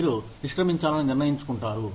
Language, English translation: Telugu, You decide quitting